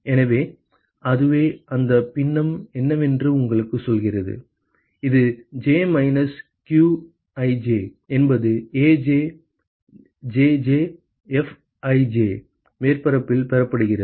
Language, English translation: Tamil, So, that is what tells you what is that fraction, which is received by the surface j minus qji is given by Aj Jj Fji ok